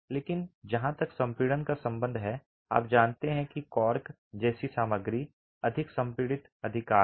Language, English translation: Hindi, But as far as compressibility is concerned, you know that a material like cork is more compressible, right